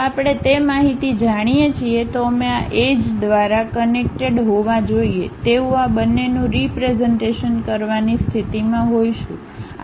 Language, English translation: Gujarati, If we know that information only we will be in a position to represent these two supposed to be connected by these edges